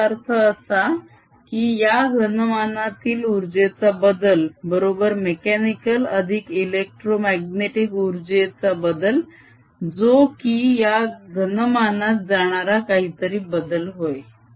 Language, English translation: Marathi, this means that the change of the energy inside this volume, which is equal to the change in the mechanical energy plus the electromagnetic energy, is equal to something going into the volume